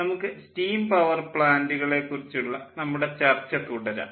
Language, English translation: Malayalam, um, we will continue with our discussion on steam power plant and ah